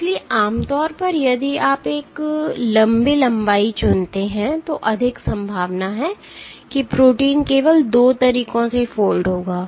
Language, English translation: Hindi, So, typically if you choose a longer length, there is a greater likelihood that the protein will fold verses making just 2 ways